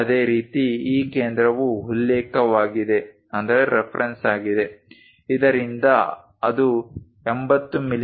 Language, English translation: Kannada, Similarly, the reference is this center is at 80 mm from this